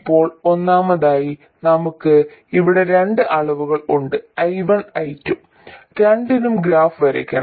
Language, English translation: Malayalam, Now first of all we have two quantities here I and I2, and we have to draw graphs for both of them